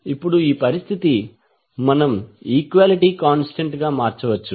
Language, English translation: Telugu, Now this condition we can converted into equality constant